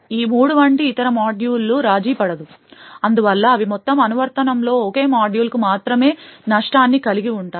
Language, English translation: Telugu, No other module such as these three would be compromised, thus they are able to contain the damage that is done to only a single module in the entire application